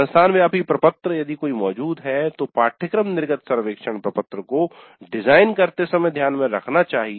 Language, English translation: Hindi, Then institute wide form if one exists must be taken into account while designing the course exit survey form